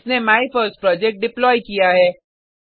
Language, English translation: Hindi, It has deployed MyFirstProject